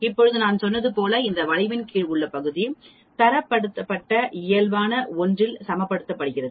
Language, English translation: Tamil, Now as I said this is area under this curve it is equated to 1 in a Standardized Normal Distribution